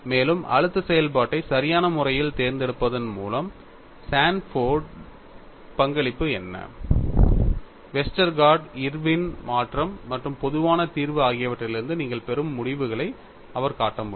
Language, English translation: Tamil, And what was the contribution by Sanford was, by selecting appropriately the stress function Y, he could show the results that you get from Westergaard, Irwin’s modification as well as generalized solution